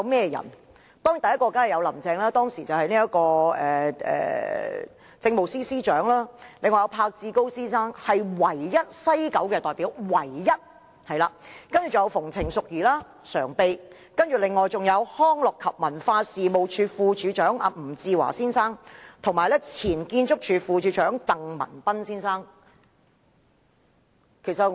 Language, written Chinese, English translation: Cantonese, 第一位當然是是林鄭月娥，當時的政務司司長，另外栢志高先生，他是唯一一名來自西九文化區管理局的代表，還有民政事務局常任秘書長馮程淑儀、康樂及文化事務署副署長吳志華先生，以及前建築署副署長鄧文彬先生。, The first member was certainly Carrie LAM the then Chief Secretary for Administration . Another member was Mr Duncan PESCOD the only representative of the West Kowloon Cultural District Authority WKCDA . The other members were Mrs Betty FUNG Permanent Secretary for Home Affairs; Dr Louis NG Deputy Director of Leisure and Cultural Services and Mr Stephen TANG former Deputy Director of Architectural Services